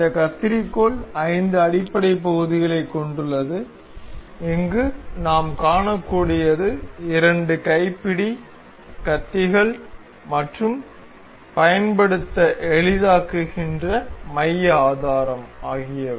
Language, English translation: Tamil, This scissor consists of five fundamental parts that we can see here consists of two hand grips, the blades and the pivot that makes it easier to use